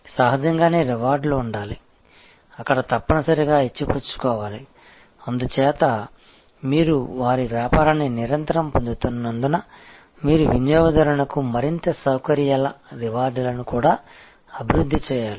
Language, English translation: Telugu, Obviously, there must be rewards, there must be given take therefore, as you are continuously getting their business, you must also develop, give more and more facilities rewards to the customer